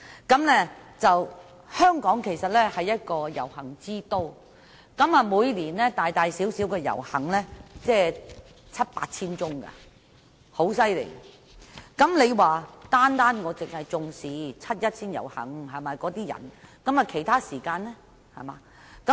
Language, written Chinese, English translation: Cantonese, 事實上，香港是一個遊行之都，每年大大小小的遊行達七八千宗，如果尹議員只要求重視七一遊行的市民，其他時間遊行的市民又怎樣？, In fact Hong Kong is a city of protests . About 7 000 to 8 000 protests of different scales are held in Hong Kong every year . If Mr Andrew WAN asks the Government to attach importance only to the aspirations of the people participating in the 1 July march what about the aspirations of participants in protests held at other times?